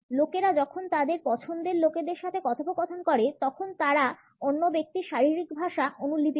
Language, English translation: Bengali, When people converse with people they like, they will mirror or copy the other person’s body language